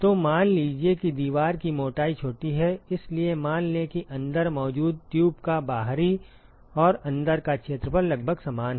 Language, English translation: Hindi, So, assume that the wall thickness is small, so assume that the outside and the inside area of the tube which is present inside are approximately the same